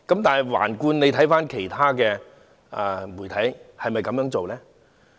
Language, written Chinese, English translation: Cantonese, 但是，環顧其他媒體，是否同樣的呢？, However is the same true of other media around it?